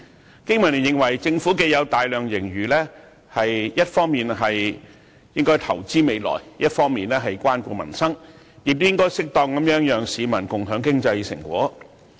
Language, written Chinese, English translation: Cantonese, 香港經濟民生聯盟認為政府既有大量盈餘，一方面應該投資未來，一方面應該關顧民生，亦應該適當讓市民共享經濟成果。, With such an enormous surplus the Business and Professionals Alliance for Hong Kong BPA believes that the Government should invest in the future while caring for peoples livelihood and share the fruit of economic prosperity with the public as appropriate